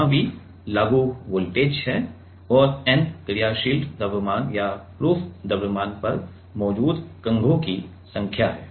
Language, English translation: Hindi, Where, V is the applied voltage and n is the number of combs present on the dynamic mass or the proof mass